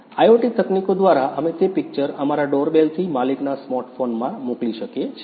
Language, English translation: Gujarati, Through IoT technologies, we can send that image from our doorbell to the owner’s smart phone